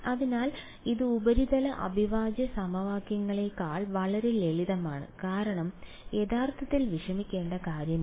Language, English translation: Malayalam, So, this turned out to be so much more simpler than the surface integral equations because no singularities to worry about really about